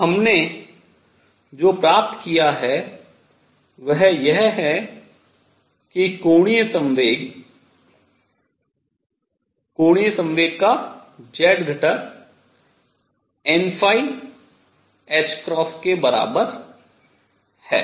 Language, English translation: Hindi, So, what we have found is that the angular momentum z component of angular momentum is equal to n phi h cross